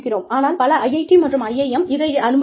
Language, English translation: Tamil, But, many IIT